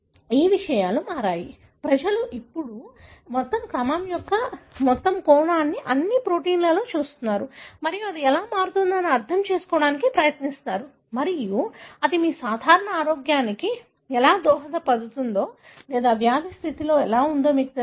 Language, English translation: Telugu, So, things have changed, people are now looking at global aspect of all the sequence all the protein and try to understand how that varies and how that may contribute to your normal health or you know, in disease condition